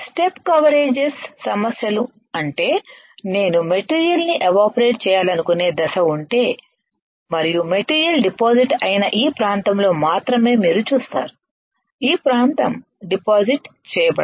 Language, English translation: Telugu, Step Coverages issue means, if I have the step on which I want to evaporate the material and you will see only in this area the material is deposited, this area cannot get deposited